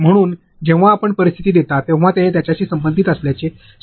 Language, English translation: Marathi, So, when you give scenarios make sure its relevant to them